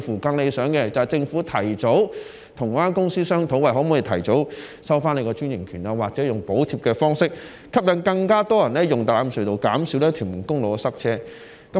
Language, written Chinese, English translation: Cantonese, 更理想的做法，是政府跟有關公司商討可否提早收回專營權，又或是透過補貼的方式，吸引更多人使用大欖隧道，減少屯門公路的塞車問題。, A more ideal approach is for the Government to discuss with the relevant operator about early withdrawal of the franchise or attract more people to use the Tai Lam Tunnel through subsidies to reduce the traffic congestion on Tuen Mun Road